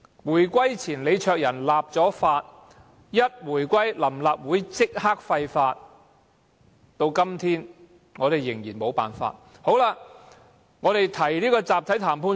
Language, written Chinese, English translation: Cantonese, 回歸後，臨時立法會立即廢法，至今我們仍然無法取回集體談判權。, After the reunification the Provisional Legislative Council immediately repealed it and to date we have not been able to regain such a right to collective bargaining